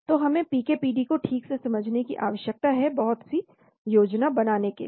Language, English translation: Hindi, So we need to understand the PK and PD properly in order to do lot of planning